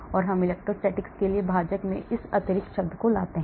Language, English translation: Hindi, so we bring in this extra term in the denominator for the electrostatics